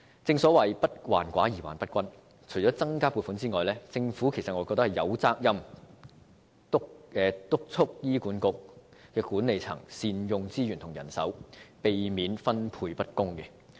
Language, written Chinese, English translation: Cantonese, 正所謂"不患寡而患不均"，除增加撥款外，我認為政府有責任督促醫管局管理層善用資源和人手，避免分配不公。, In my view apart from making an increase in funding the Government is obliged to urge the management of HA to make optimal use of resources and manpower and avoid unfair distribution